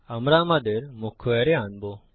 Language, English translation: Bengali, Well call our main array